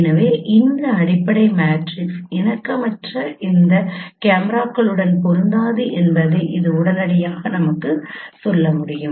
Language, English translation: Tamil, So which can readily tells us this fundamental matrix is not compatible with these cameras